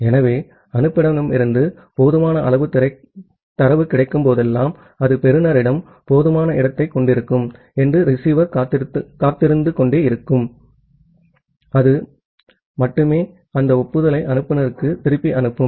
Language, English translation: Tamil, So, the receiver just keep on waiting that, whenever it will get sufficient data from the sender it will have sufficient space at the receiver, that then only it will send back that acknowledgement to the to the sender